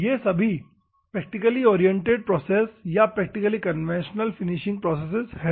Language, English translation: Hindi, These are all practically oriented processes or practically conventional finishing process